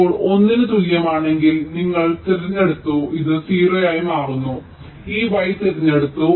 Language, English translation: Malayalam, now, if s equal to one, then u is selected and this become zero, so this y is selected